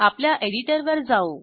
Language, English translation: Marathi, Come back to our editor